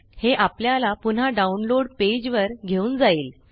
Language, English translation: Marathi, This takes us back to the download page